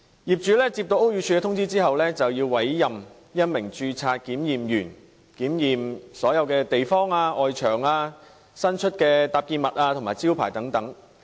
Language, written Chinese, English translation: Cantonese, 業主接獲屋宇署通知後，便要委任一名註冊檢驗人員檢驗所有地方，包括外牆、伸出物和招牌等。, The owners on receiving notices from the Buildings Department are required to appoint a Registered Inspector to carry out an inspection on all the places including the external walls projections or signboards of the buildings